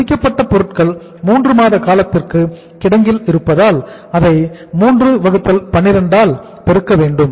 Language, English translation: Tamil, Finished goods will stay in the warehouse for a period of 3 months so you can say multiply it by 3 by 12